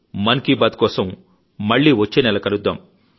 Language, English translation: Telugu, We will meet in Man ki baat again next month